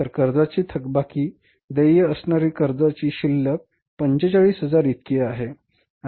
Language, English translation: Marathi, So, the balance of the loan, loan payable is that is 45,000 is the balance of the loan